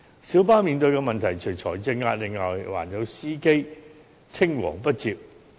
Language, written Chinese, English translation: Cantonese, 小巴面對的問題，除財政壓力外，還有司機青黃不接。, Apart from financial pressure the problems faced by the minibus trade also include manpower succession